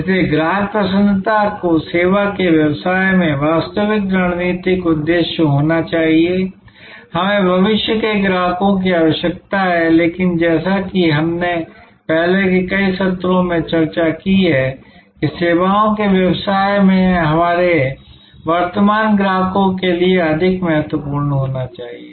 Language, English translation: Hindi, So, customer delight should be the real strategic objective in a services business of course, we need future customers, but as we have discussed in many earlier sessions that in services business more important should be given to our current customers